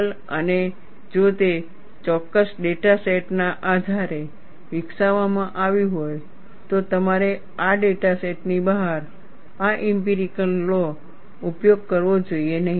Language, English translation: Gujarati, And if it is developed based on a particular data set, you should not use this empirical law outside this data set